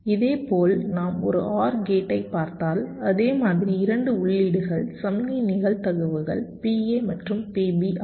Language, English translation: Tamil, similarly, if we look at an or gate, same way: two inputs, the signal probabilities are pa and pb